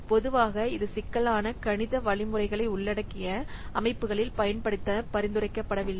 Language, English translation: Tamil, Normally it is not recommended for use in systems which involve complex mathematical algorithms